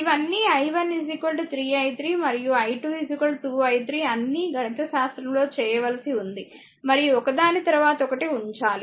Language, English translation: Telugu, All this i 1 3 is equal to 3 i 3 i 2 2 i 3 all you have got just you have to manipulate mathematically, and you have to put one after another if you put